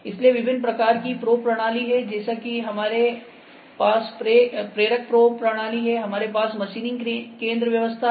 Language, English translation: Hindi, So, different types of probing systems are there, we have inductive probing system like we have induct inductive probing system, we have machining center arrangements